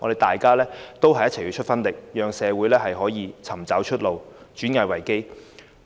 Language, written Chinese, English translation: Cantonese, 大家要群策群力，讓社會能夠找到出路，轉危為機。, We should make concerted efforts to enable society to find a way out and turn a crisis into opportunities